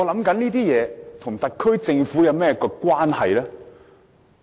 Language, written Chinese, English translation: Cantonese, 這些事情和特區政府有何關係呢？, How these livelihood issues are related to the SAR Government?